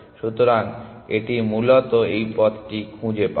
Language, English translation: Bengali, So, it will, it will find this path essentially